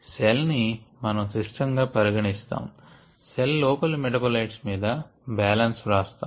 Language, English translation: Telugu, this is our system and we write the balances on the metabolites inside the cell